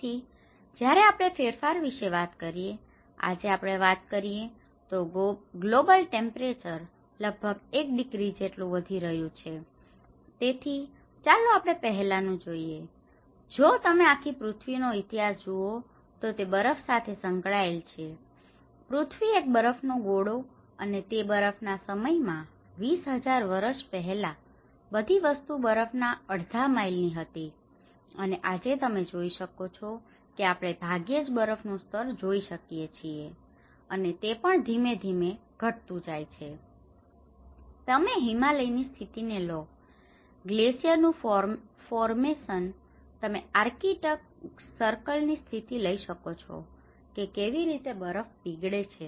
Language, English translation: Gujarati, So, when we talk about the change, today we are talking about the global temperature has increased about 1 degree right, so let us see earlier, if you look at the history of the whole earth is referred with the snow; the snowball earth and about in the ice age, 20,000 years ago the whole thing was in half a mile of ice and today, if you see we hardly see that snow cover that is also gradually reducing, you take the conditions of Himalayas, the glacier formations, you take the conditions of the arctic circle how the ice is melting